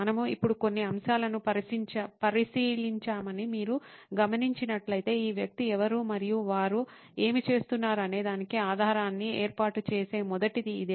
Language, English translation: Telugu, If you notice we have looked at a few elements now, so this is the first one which is setting a base for who is this person and what are they doing